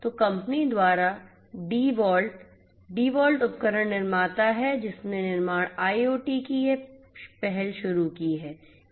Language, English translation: Hindi, So, by the company DeWalt; DeWalt is the tool manufacturer which launched this initiative of construction IoT